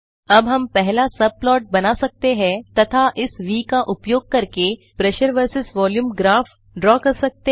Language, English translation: Hindi, Now we can create first subplot and draw Pressure versus Volume graph using this V